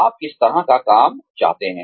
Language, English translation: Hindi, What kind of work, do you want to do